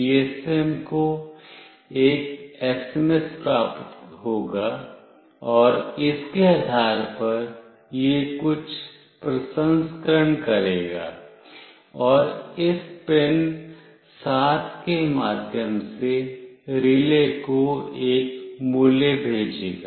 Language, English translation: Hindi, GSM will receive an SMS, and depending on that it will do some processing, and send a value through this pin 7 to the relay